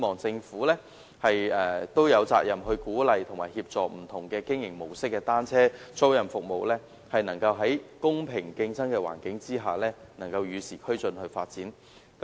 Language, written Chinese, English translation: Cantonese, 政府有責任鼓勵和協助不同經營模式的單車租賃服務，使之能夠在公平競爭的環境下與時俱進地發展。, The Government is duty - bound to encourage and assist bicycle hiring services in different operation modes in order for these services to develop in an environment with a level playing field while keeping abreast of the times